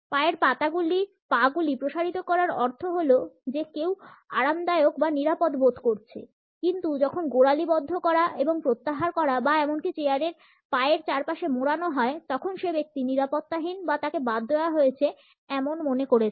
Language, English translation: Bengali, Feet and legs outstretched means that someone feels comfortable or secure, but when ankles lock and withdraw or even wrap around the legs of the chair that person feels insecure or left out